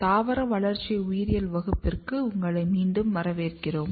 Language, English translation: Tamil, Welcome back to Plant Developmental Biology course